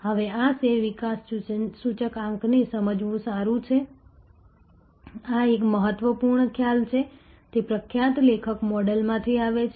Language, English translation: Gujarati, Now, it is good to understand this share development index, this is an important concept, it comes from the famous author model